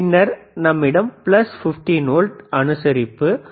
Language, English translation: Tamil, tThen we have plus plus 15 volts adjustable , minus 15 volts ADJ,